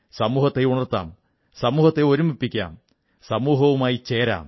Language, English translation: Malayalam, We must wake up the society, unite the society and join the society in this endeavour